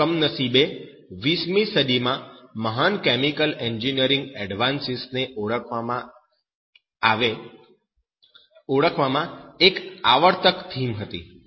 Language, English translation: Gujarati, That is, unfortunately, a recurring theme in identifying the great chemical engineering advances in the 20th century